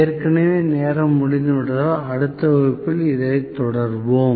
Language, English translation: Tamil, So, already the time is up so we will probably continue with this in the next class